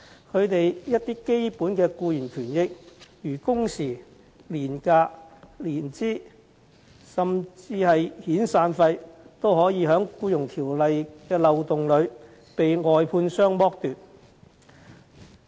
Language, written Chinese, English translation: Cantonese, 他們一些基本的僱員權益，例如工時、年假、年資，以至遣散費，也可以因《僱傭條例》的漏洞而遭外判商剝奪。, Their basic employment rights and benefits such as working hours annual leave seniority and even severance payment may be exploited by the contractors due to loopholes in the Employment Ordinance